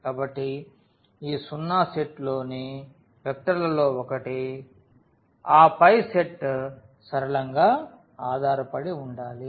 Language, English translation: Telugu, So, this 0 is one of the vectors in the set and then the set must be linearly dependent